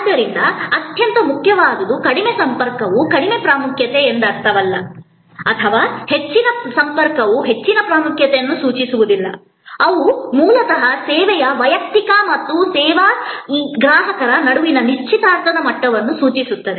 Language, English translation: Kannada, So, most important is that low contact does not mean low importance or high contact does not necessarily mean high importance, they are basically signifying the level of engagement between the service personal and this service consumer